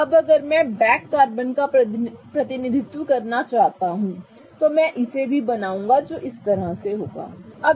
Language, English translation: Hindi, Now if I want to represent the back carbon, I'll also draw it which will be like this